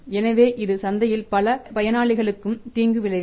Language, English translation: Tamil, So it means is it will harm many players in the market